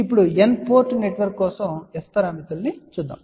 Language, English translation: Telugu, Now, let just look at S parameters for N port network